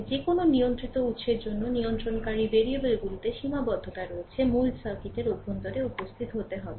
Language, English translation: Bengali, However, restriction is there in the controlling variables for any controlled sources must appear inside the original circuit